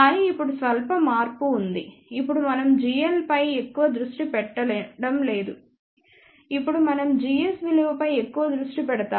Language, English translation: Telugu, But now there is slight change now we do not give much focus to g l now we focus more on g s value